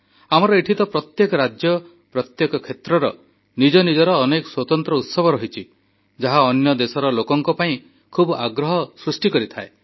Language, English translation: Odia, Here, every state, every region is replete with distinct festivals, generating a lot of interest in people from other countries